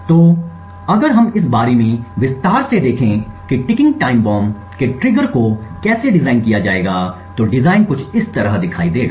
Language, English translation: Hindi, So, if we look at this more in detail about how a ticking time bomb’s trigger would be designed the design would look something like this